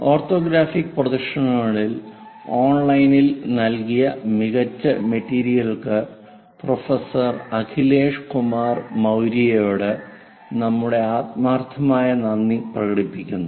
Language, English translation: Malayalam, Our sincere thanks to professor Akhilesh Kumar Maurya for his excellent materials provided on online on Orthographic Projections